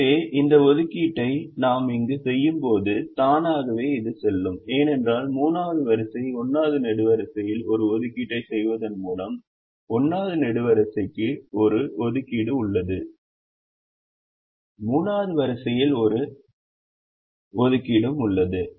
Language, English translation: Tamil, so when we make this assignment here, automatically this will go because by making an assignment in the third row, first column, the first column has an assignment